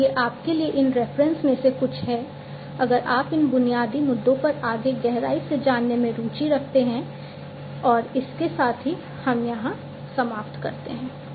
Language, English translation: Hindi, So, these are some of these references for you to go through if you are interested to dig further into these basic issues and with this we come to an end